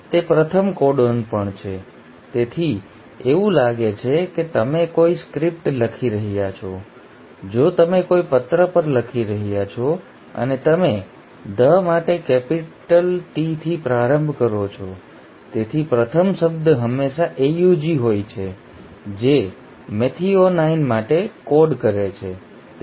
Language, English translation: Gujarati, It is also the first codon so it is like you are writing a script, if you are writing on a letter and you start with a capital T for “the”, right, so the first word is always a AUG which codes for methionine